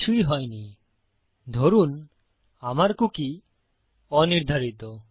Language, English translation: Bengali, Nothing has happened presuming my cookie is unset